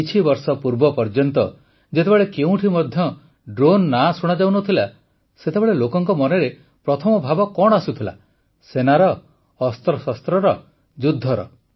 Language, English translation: Odia, Up until a few years ago, when the name of Drone used to come up, what used to be the first feeling in the minds of the people